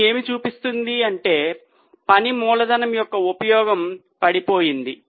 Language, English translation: Telugu, It means the efficiency of use of working capital has been falling